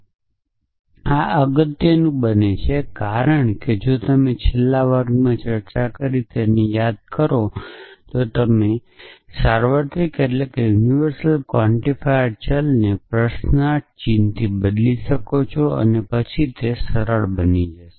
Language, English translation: Gujarati, And this becomes important, because if you remember the implicit quantifier for that we discussed in the last class you can replace a universally quantified variable with a question mark and then it become simplistic